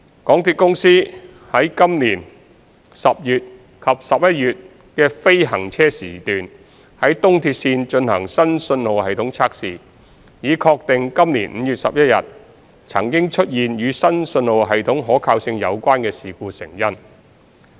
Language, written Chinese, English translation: Cantonese, 港鐵公司於今年10月及11月的非行車時段於東鐵綫進行新信號系統測試，以確定今年5月11日曾出現與新信號系統可靠性有關的事故成因。, MTRCL conducted new signalling system tests at EAL during the non - traffic hours in October and November 2020 to ascertain the root cause of the incident relating to service reliability on 11 May 2020